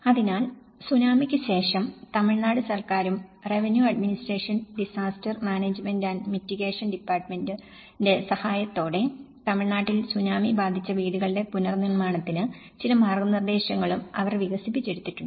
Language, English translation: Malayalam, So, after the Tsunami, government of Tamil Nadu and with the help of Revenue Administration Disaster Management and Mitigation Department, they have also developed certain guidelines of reconstruction of houses affected by tsunami in Tamil Nadu